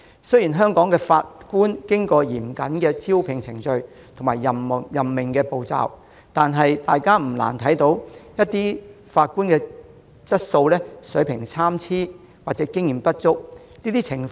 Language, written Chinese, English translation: Cantonese, 雖然香港的法官已通過嚴謹的招聘和任命程序，但大家不難看到，有些法官或許質素參差或經驗不足。, Even though judges in Hong Kong have gone through stringent recruitment and appointment procedures it is not difficult for us to see that the quality or experience of some judges may be inadequate